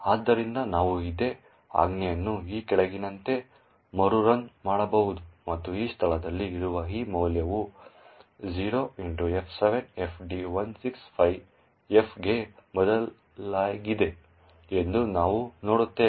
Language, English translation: Kannada, So, we can rerun this same command as follows and what we see is that this value present in this location has changed to F7FD165F